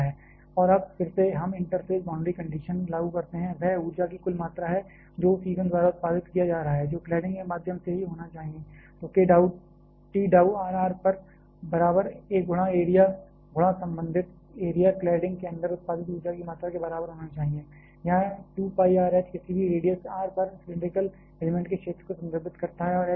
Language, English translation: Hindi, And, now again, we apply the interface boundary condition; that is a total amount of energy; that is being produced by the fuel that must through the cladding itself; so k dou T dou r at r equal to a in to the area, in to the corresponding area should be equal to the amount of energy produced inside the cladding, here 2 pi r H refers to the area of the cylindrical element at any radius r and H is the height